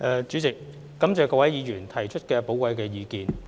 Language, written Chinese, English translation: Cantonese, 主席，感謝各位議員提出的寶貴意見。, President I thank Members for stating their valuable views